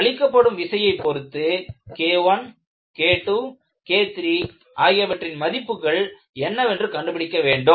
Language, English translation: Tamil, So, for a given loading, you find out what is the value of K I, what the value of K II is and what the value of K III is